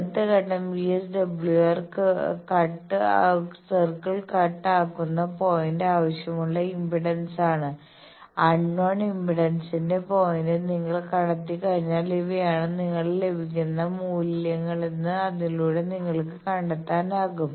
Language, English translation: Malayalam, That next step the point where VSWR circle is the cut is the desired impedance; by that you can find out that these will be the values you are getting because once you have found out the point of unknown impedance